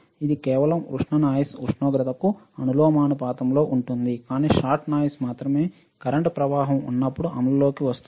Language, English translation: Telugu, It is just a thermal noise is proportional to the temperature also, but shot noise only comes into effect when there is a flow of current